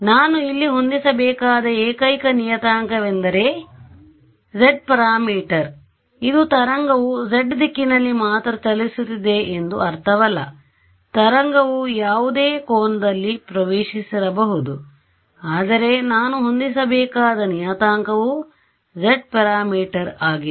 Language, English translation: Kannada, The only parameter that I had to set over here was the z parameter this does not mean that the wave is travelling only along the z direction the wave is incident at any angle, but the parameter that I need to set is the z parameter